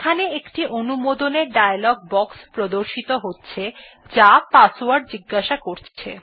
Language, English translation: Bengali, Here, an authentication dialog box appears asking for the Password